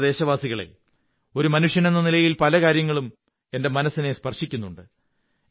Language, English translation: Malayalam, My dear countrymen, being a human being, there are many things that touch me too